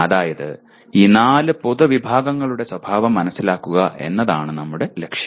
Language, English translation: Malayalam, That is the understanding the nature of these four general categories is our objective